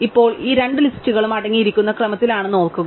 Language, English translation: Malayalam, Now, remember that these two lists are in sorted order